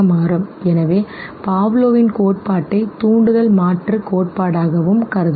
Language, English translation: Tamil, So that is the reason why Pavlov’s theory can also be considered as stimulus substitution theory